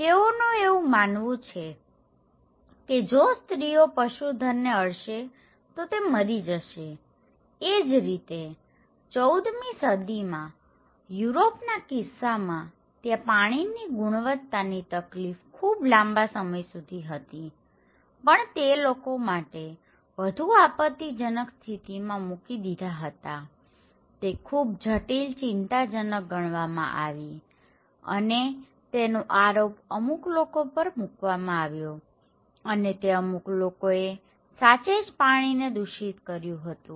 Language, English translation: Gujarati, They believe that if the woman they touch livestock, the livestock will die, so similarly in case of the 14th century Europe, there was poor water quality was already an issue for a very long time but it came into kind of more outcry of the people, it is considered to be as one of the critical concern and the blame of these was given to the Jews people because they were told that Jews people are actually contaminating the water